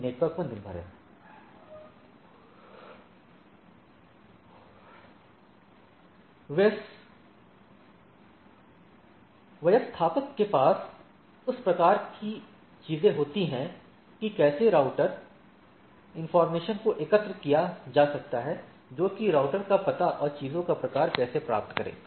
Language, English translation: Hindi, It is up to the network administrator to have that type of things that how the router informations can be collected that which are the how to get the router address and type of things